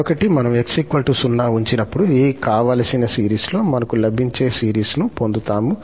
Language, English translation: Telugu, For another one, when we put x equal to 0, we will get the series which we were getting in this desired series